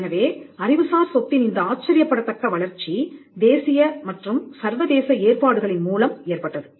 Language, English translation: Tamil, So, this phenomenal growth of intellectual property came through an international and a national arrangement